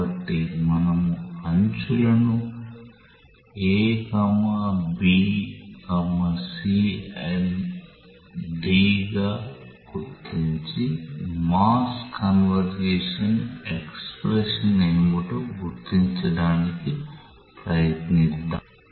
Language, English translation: Telugu, So, let us say that we mark the edges as A B C D and try to identify that what are the expression for the conservation of mass